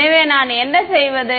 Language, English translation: Tamil, So, what do I do